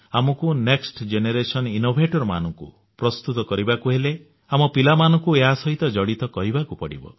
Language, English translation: Odia, If we have to develop the next generation innovators, we shall have to link our children with it